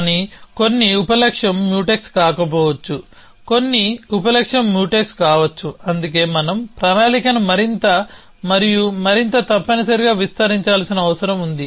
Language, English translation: Telugu, But, it is possible that some sub goal may not the Mutex some sub goal may be Mutex which is why we need to extend the planning a further and further essentially